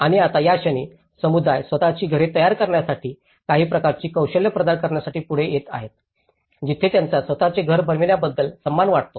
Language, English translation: Marathi, And now, in this the moment, the community is coming forward to provide some kind of unskilled labour to make their own houses, where they feel dignity about making their own house